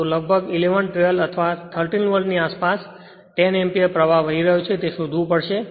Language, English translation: Gujarati, So, around 11, 12 or 13 Volt, you will find the 10 Ampere current is flowing